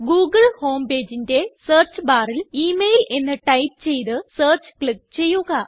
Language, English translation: Malayalam, In the search box of the google home page, type email .Click Search